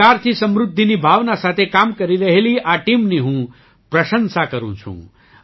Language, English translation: Gujarati, I appreciate this team working with the spirit of 'prosperity through cooperation'